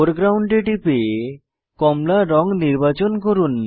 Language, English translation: Bengali, Click on Foreground drop down to select orange color